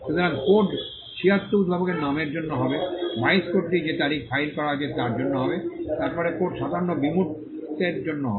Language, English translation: Bengali, So, code 76 will be for the inventor’s name, code 22 will be for the date on which it is filed, then, code 57 will be for the abstract